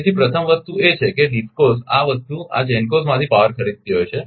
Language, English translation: Gujarati, So, first thing is that DISCOs this thing buying power from this GENCOs